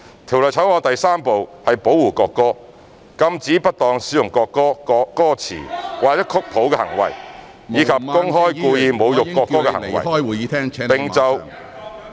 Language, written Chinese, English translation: Cantonese, 《條例草案》第3部是"保護國歌"，禁止不當使用國歌、歌詞或曲譜的行為，以及公開故意侮辱國歌的行為......, Part 3 of the Bill is Protection of National Anthem which prohibits misuse of the national anthem or its lyrics or score as well as public and intentional insulting behaviours in relation to the national anthem